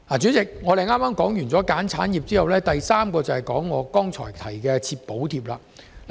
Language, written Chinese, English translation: Cantonese, 主席，說罷"選產業"，接下來便要討論我剛才提及的"設補貼"。, President after elaborating on the point of identifying industries I will now move on to next point of providing subsidies which I mentioned earlier on